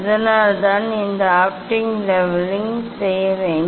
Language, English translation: Tamil, that is why we have to do this optical leveling